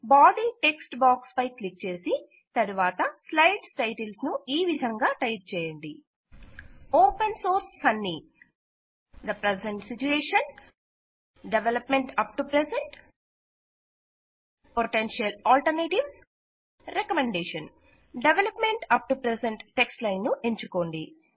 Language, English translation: Telugu, Click on the Body text box and type the titles of the succeeding slides as follows: Open Source Funny The Present Situation Development up to present Potential Alternatives Recommendation Select the line of text Development up to present